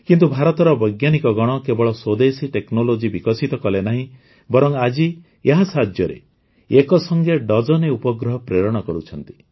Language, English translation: Odia, But the scientists of India not only developed indigenous technology, but today with the help of it, dozens of satellites are being sent to space simultaneously